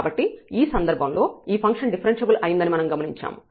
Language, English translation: Telugu, So, in this case we have observed that this function is differentiable